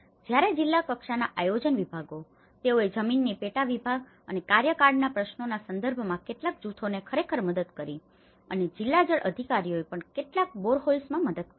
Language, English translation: Gujarati, Whereas, the district level planning departments, they have actually assisted some of the groups in terms of land subdivision and tenure issues and also district water authorities also assisted some with the boreholes